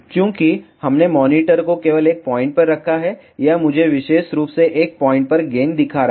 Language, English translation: Hindi, Since, we put the monitor at only one point this is showing me the gain at particular one point